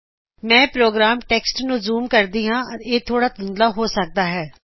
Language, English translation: Punjabi, Let me zoom into the program text it may possibly be a little blurred